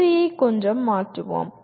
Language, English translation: Tamil, Let us change the sequence a little bit